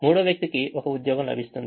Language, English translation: Telugu, the fourth person gets one job